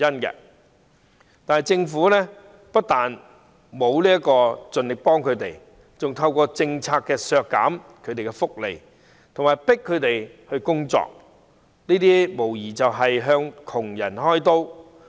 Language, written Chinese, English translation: Cantonese, 然而，政府不但沒有盡力幫助他們，還透過這項政策削減他們的福利，強迫他們工作，無疑是向窮人"開刀"。, However not only did the Government not try its best to help them . It even cuts their benefits and forces them to work through this policy which is undoubtedly targeted at the poor